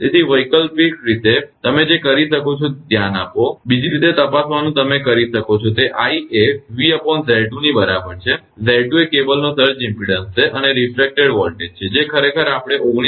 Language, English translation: Gujarati, So alternatively, what you can do is look for checking other way you can do, it i is equal to v upon Z 2, Z 2 is the surge impedance of the cable and refracted voltage is actually we got 19